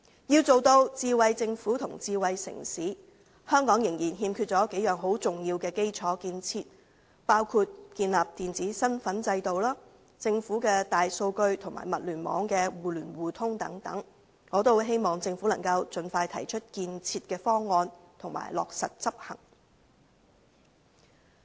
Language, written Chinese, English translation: Cantonese, 要成為智慧政府和智慧城市，香港仍然欠缺幾項重要基礎建設，包括建立電子身份制度、政府大數據及物聯網的互聯互通等，我希望政府能盡快提出建設方案及落實執行。, To become a smart city with a smart government Hong Kong still lacks a few pieces of important infrastructure including the establishment of an electronic identity system and mutual access to the Governments big data and the Internet - of - Things system . I hope the Government will put forward a proposal for their development and implement it as soon as possible